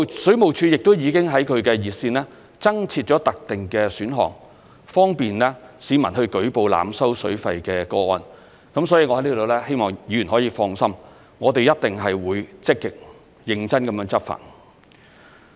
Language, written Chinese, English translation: Cantonese, 水務署亦已在其熱線增設特定選項，方便市民舉報濫收水費的個案，所以我在此希望議員可以放心，我們一定會積極、認真地執法。, WSD has also set up a separate option in its hotline to facilitate report of overcharging for the use of water by the public . So I hope Members would have peace of mind . We will actively and seriously take enforcement actions